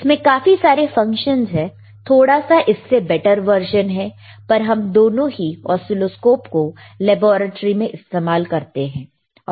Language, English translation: Hindi, tThis has multiple functions, fewer better version than this one, but still both the both the oscilloscopes are used in the laboratory